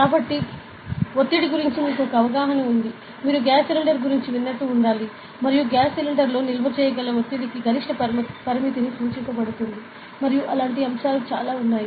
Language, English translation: Telugu, So, you have an idea about pressure; when we, you must have heard of a gas cylinder and there will be prescribed maximum limit for the pressure that can be stored in a gas cylinder and such stuff are there ok